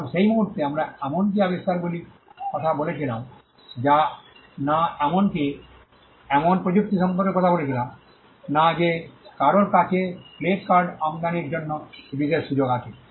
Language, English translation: Bengali, Now at that point we were not even talking about inventions we were not even talking about technologies some people have these exclusive privileges to import playing cards